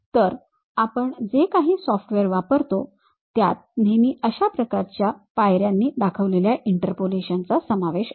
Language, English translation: Marathi, So, any software what we use it always involves such kind of step by step interpolations